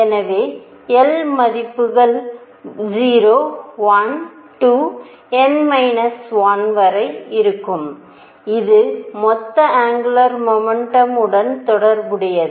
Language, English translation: Tamil, So, l values will be 0, 1, 2 upto n minus 1 and this is related to total angular momentum